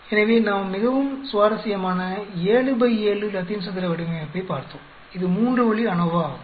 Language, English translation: Tamil, So, we looked at very interesting 7 by 7 Latin square design it is a three way ANOVA